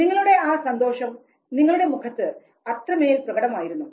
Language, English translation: Malayalam, Your happiness was glaringly visible on your face